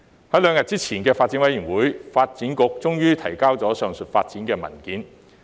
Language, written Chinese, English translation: Cantonese, 在3日前的發展事務委員會，發展局終於提交有關上述發展的文件。, At the meeting of the Panel on Development held three days ago the Development Bureau finally submitted a paper on the aforesaid development